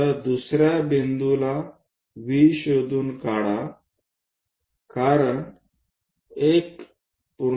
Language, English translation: Marathi, So, in that at second point locate V because 1